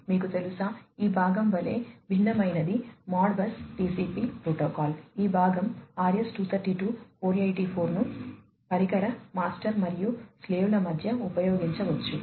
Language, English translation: Telugu, You know so, different like you know this part would be Modbus TCP protocol, which will be used this part would be the RS 232 484 could be used between the device master and the slave